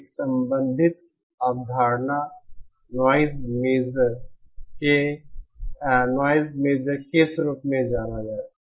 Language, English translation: Hindi, A related concept is what is known as a noise measure